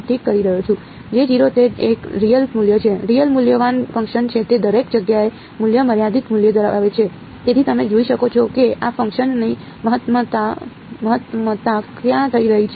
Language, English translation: Gujarati, It is a real value; J 0 is the real valued function it has a value finite value everywhere, so you can see the maxima of this function is happening where